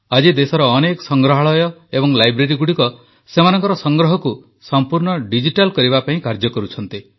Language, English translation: Odia, Today, lots of museums and libraries in the country are working to make their collection fully digital